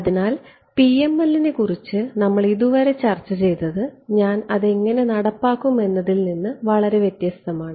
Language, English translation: Malayalam, So, what we have discussed about PML so far is independent of how I will implement it right